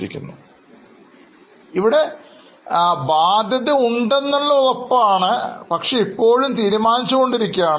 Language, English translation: Malayalam, Now, the liability is there is certain, but the amount is still being decided